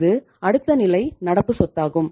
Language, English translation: Tamil, Where is the current asset